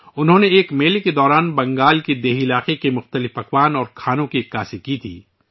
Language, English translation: Urdu, He had showcased the food of rural areas of Bengal during a fair